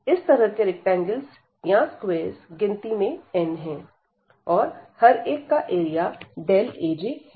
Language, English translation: Hindi, So, such rectangles or the squares are actually n and each of them has the area delta A j